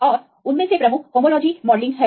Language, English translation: Hindi, And the one of the major ones is the homology modelling